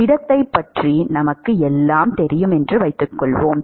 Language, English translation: Tamil, We assume that we know everything about the solid